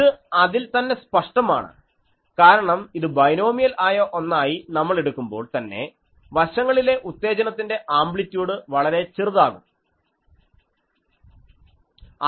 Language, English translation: Malayalam, That is obvious because the moment we are taking this binomial ones so, at the sides the excitation amplitude is quite less